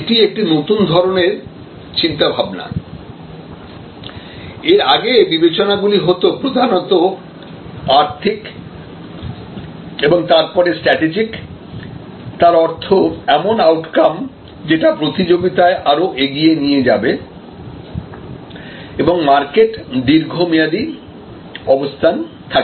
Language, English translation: Bengali, Now, this is the new type of thinking, earlier as you will see the considerations where mainly financial and then strategic; that means outcomes that will result in greater competitiveness and long term market position